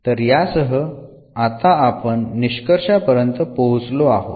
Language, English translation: Marathi, So, with this we come to the conclusion now